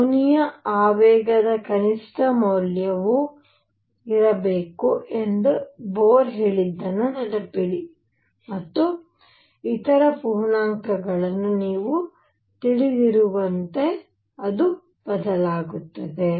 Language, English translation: Kannada, Remember what Bohr had said Bohr had said the minimum value of angular momentum should be h cross and then it varied as you know the other integers